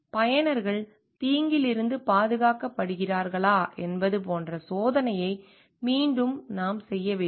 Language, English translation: Tamil, Again also we need to cross check like whether users are protected from the harm